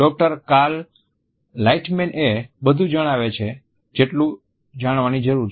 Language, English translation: Gujarati, With the Doctor Cal Lightman they tell him everything he needs to know